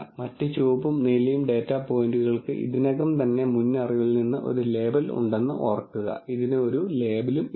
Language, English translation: Malayalam, Remember the other red and blue data points already have a label from prior knowledge, this does not have a label